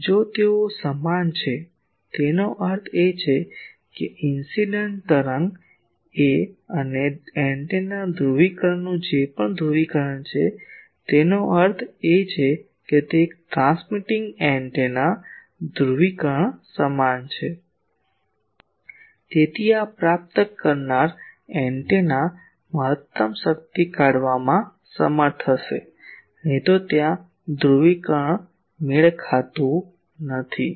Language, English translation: Gujarati, If they are equal; that means, whatever the polarisation of the incident wave and the antennas polarisation; that means, as a that; as a transmitting antenna is polarisation is same, then this receiving antenna will be able to extract maximum power otherwise there will be a polarisation mismatch